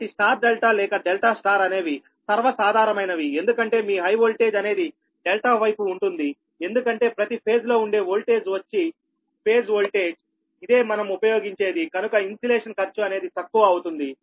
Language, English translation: Telugu, so for star delta or delta star are very common because delta star kept under your high voltage side, because each phase that voltage actually will be the phase voltage will be used